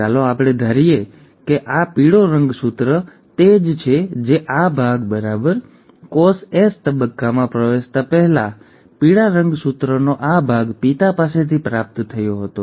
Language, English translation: Gujarati, So let us assume this yellow chromosome is what this part, right, this part of the yellow chromosome before the cell entered S phase was received from the father